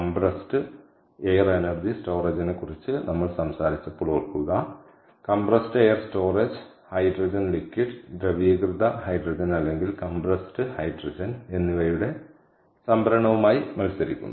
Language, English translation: Malayalam, remember, when we talked about compressed air energy storage, we said that compressed air storage is competing with storage of hydrogen, liquid liquefied hydrogen or compressed hydrogen as gas